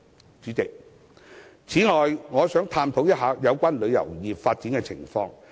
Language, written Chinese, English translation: Cantonese, 代理主席，此外，我想探討一下香港旅遊業的發展情況。, Deputy President I also wish to talk about the development of the Hong Kong tourism industry